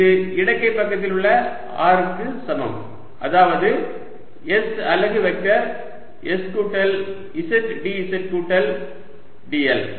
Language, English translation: Tamil, and this is equal to, on the left hand side, r, which is s unit vector, s plus z d z plus d l